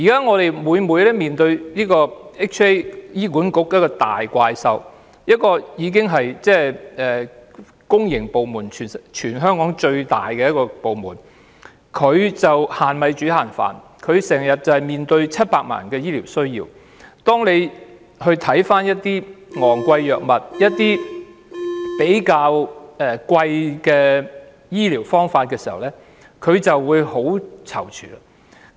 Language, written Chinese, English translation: Cantonese, 我們現時經常要面對醫管局這頭大怪獸，它是全香港最大的公營部門，但現時卻要"限米煮限飯"，因為它需要面對700萬人的醫療需要，每當看到一些昂貴藥物或醫療方法，它便會很躊躇。, At present we always have to face the giant monster of HA . Being the largest public department in Hong Kong HA now has to provide services with only limited resources because it has to face the healthcare demand from 7 million people . Every time when it sees some expensive drugs or means of medical treatment it will be very hesitant